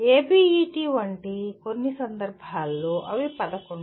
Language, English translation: Telugu, In some cases like ABET they are 11